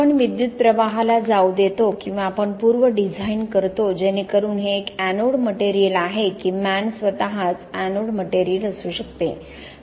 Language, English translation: Marathi, Do we allow the current to go through or do we pre design so that this is an anode material or the sheath itself could be an anode material